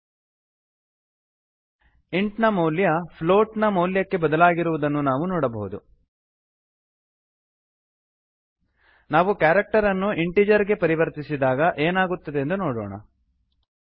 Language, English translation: Kannada, we see that the int value has been converted to a float value Let us see what happens when we convert a character to an integer